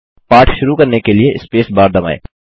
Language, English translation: Hindi, To start the lesson, let us press the space bar